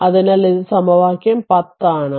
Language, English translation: Malayalam, So, this is equation 10 right